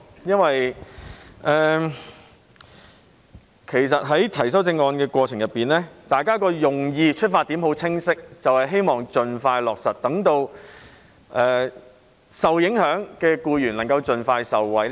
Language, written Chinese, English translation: Cantonese, 因為在提出修正案的過程中，大家的用意及出發點均很清晰，就是希望盡快落實措施，讓受影響的僱員能夠盡快受惠。, Because in proposing the amendments the objective and intention of Members is crystal clear and that is hoping that the measure can be expeditiously implemented so that the affected employees can benefit as soon as possible